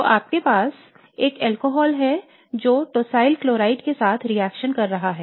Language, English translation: Hindi, So you have an alcohol that is reacting with tossil chloride